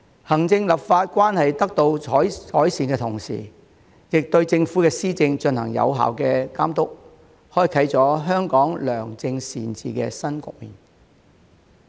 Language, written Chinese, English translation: Cantonese, 行政立法關係得到改善的同時，亦對政府施政進行有效的監督，開啟了香港良政善治的新局面。, Not just the relationship between the executive and the legislature has therefore been improved but policy implementation by the Government has also been effectively monitored hence turning the page to a new chapter of good governance for Hong Kong